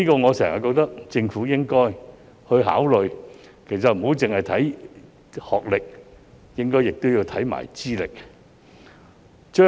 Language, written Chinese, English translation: Cantonese, 我一直認為，政府應該不只考慮學歷，也應看看資歷。, I have always held that in addition to academic qualifications the Government should also consider ones credentials